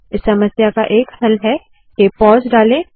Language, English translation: Hindi, One way to solve this problem is to put a pause